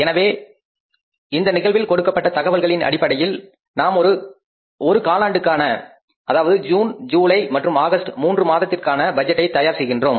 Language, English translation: Tamil, So, given the information in the case, we have found that we are preparing the budget for only one quarter that is three months, June, July and August